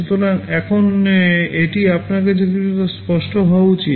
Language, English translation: Bengali, So, now it must be somewhat clear to you